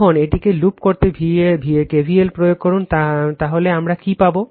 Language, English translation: Bengali, Now, apply KVL to loop this one right, so what we will get